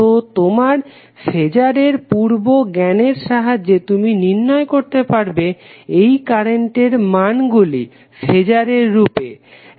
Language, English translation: Bengali, So, using your previous knowledge of phasor calculation you can find out the value of these currents in terms of phasor also